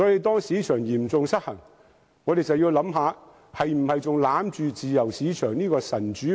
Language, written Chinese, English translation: Cantonese, 當市場嚴重失衡，我們就要考慮應否還死守着自由市場這個"神主牌"？, How terrible if that happens! . Given the serious imbalance in the market we must then consider whether the free market principle should still be closely guarded as something sacred